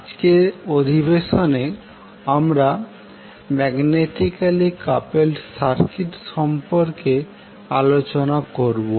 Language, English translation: Bengali, So in today’s session we will discuss about the magnetically coupled circuit